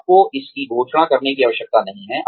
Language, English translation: Hindi, You do not have to announce it